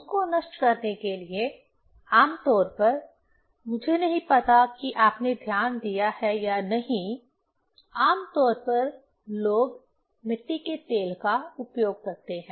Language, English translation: Hindi, To destroy that one, generally, I do not know whether you have noticed or not, we generally, people use kerosene oil